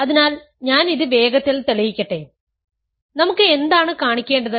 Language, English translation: Malayalam, So, let me quickly prove this, what do we have to show